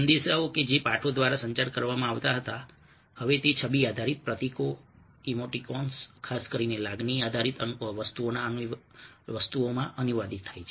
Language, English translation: Gujarati, a messages which were communicated through texts now are translated into ah image based symbols, the emoticons, ok, especially emotion based things